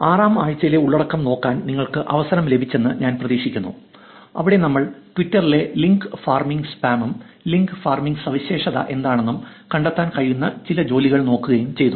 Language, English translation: Malayalam, So, this is week 7, I hope you got a chance to look at the content in week 6 where we looked at link farming spam in Twitter and some kind of work which was able to find out what link farmers are what is the characteristic of link farmers